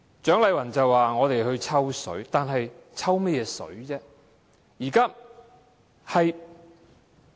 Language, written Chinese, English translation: Cantonese, 蔣麗芸議員說我們"抽水"，但我們"抽"甚麼"水"呢？, Dr CHIANG Lai - wan accused us of piggybacking but may I ask what we are piggybacking on?